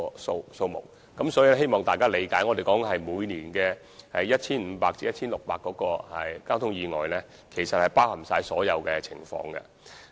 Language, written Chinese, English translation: Cantonese, 所以，我希望大家理解，我們所指的每年 1,500 至 1,600 宗交通意外，其實是包含了所有情況。, Therefore I hope Members will understand that the 1 500 to 1 600 traffic accidents that we said to have happened per annum actually cover all kinds of situations